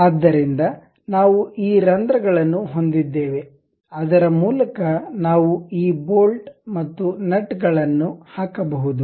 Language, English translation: Kannada, So, we have these holes through which we can really put these bolts and nuts